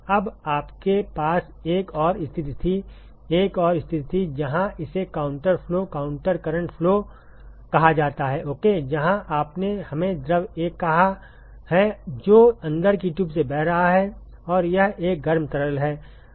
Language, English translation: Hindi, Now, you also have another situation was to have another situation, where it is called the counter flow counter current flow ok, where you have let us say fluid 1 which is flowing through the inside tube and it is a hot fluid